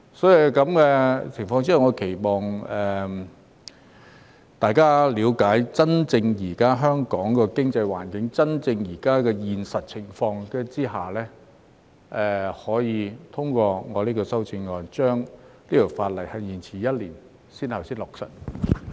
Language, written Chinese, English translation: Cantonese, 因此，我期望大家在了解香港現時真正的經濟環境及現實情況後，可以通過我的修正案，將這項法例延遲一年才落實。, Therefore I hope that Members will endorse my proposed amendments having understood the actual economic environment and conditions prevailing in Hong Kong so that the implementation of the Bill will be deferred for one year